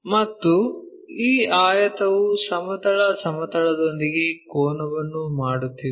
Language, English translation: Kannada, And this rectangle is making an angle with horizontal plane